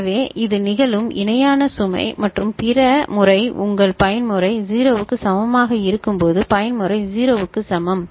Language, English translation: Tamil, So, it is parallel load that is happening and for the other case when your mode is equal to 0, mode is equal to 0 ok